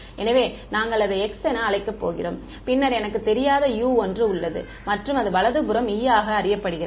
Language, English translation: Tamil, So, we are going to call it X and then I have a u which is an unknown and the right hand side is known which is e small e